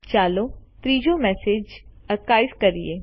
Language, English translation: Gujarati, Lets archive the third message